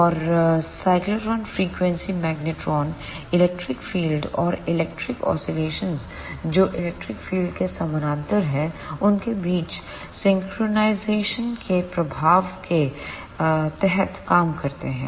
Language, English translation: Hindi, And the cyclotron frequency magnetrons operates under the influence of synchronization between the electric field and the oscillation of electrons parallel to the electric field